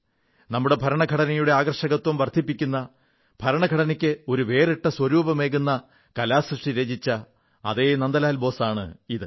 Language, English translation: Malayalam, This is the same Nandlal Bose whose artwork adorns our Constitution; lends to the Constitution a new, unique identity